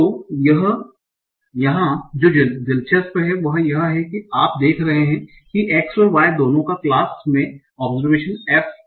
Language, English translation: Hindi, So what is interesting here you are seeing F is a function of X and Y, both my observation and the class